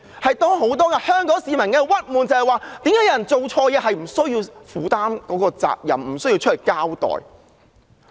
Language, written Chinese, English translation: Cantonese, 很多香港市民的鬱結是，為何有人做錯事不需要負責，不需要交代？, At the core of the depression felt by many Hong Kong people is this question Why does someone having committed wrongs need not be held responsible and called to accounts?